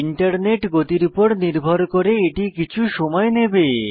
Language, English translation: Bengali, This may take some time depending on your internet speed